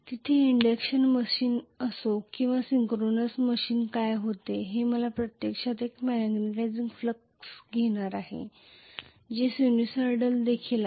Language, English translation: Marathi, Be it an induction machine or synchronous machine there what happens is I am going to have actually a magnetising flux which is also sinusoidal